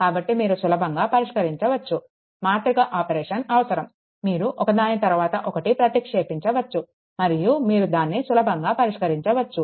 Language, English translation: Telugu, So, easily you can solve right, no even no matrix operation is required just you can substitute one after another and you can easily solve it